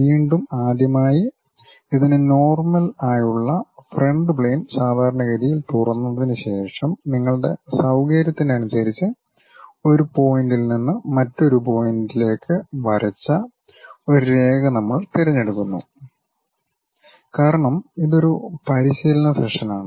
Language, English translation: Malayalam, Again, the first step is after opening the front plane normal to it, we pick a Line draw from one point to other point at your convenience whatever the points because it is a practice session